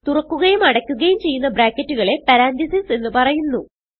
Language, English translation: Malayalam, The opening and the closing bracket is called as Parenthesis